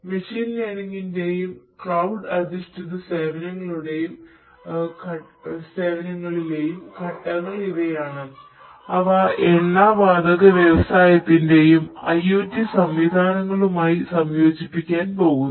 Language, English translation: Malayalam, So, these are the steps in the machine learning and cloud based services that are going to be integrated with the IoT solutions for the oil and oil and gas industry